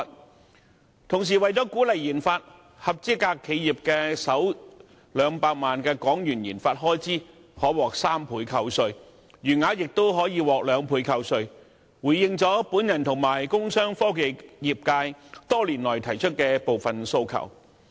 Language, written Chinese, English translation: Cantonese, 與此同時，為了鼓勵研發，合資格企業的首200萬元研發開支可獲3倍扣稅，餘額亦可獲雙倍扣稅，回應了我和工商科技業界多年來提出的部分訴求。, Meanwhile in order to encourage research and development RD the Budget announces that eligible enterprises can receive 300 % tax deduction for the first 2 million of RD expenditure and 200 % for the remaining amount . These initiatives have indeed addressed some of the requests made by me and the commercial industrial and technology sectors over the years